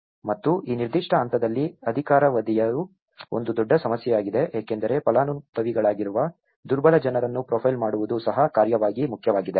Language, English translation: Kannada, And the tenure has become a big issue in this particular phase, because and also profiling the vulnerable people who are the beneficiaries, is also important as task